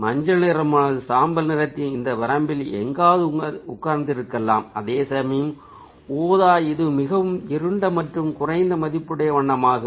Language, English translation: Tamil, so yellow will sit somewhere in this range of the achromatic grey, whereas the purple ah, that's ah, rather dark and low value color